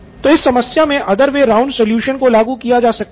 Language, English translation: Hindi, So this is one solution from the other way round principle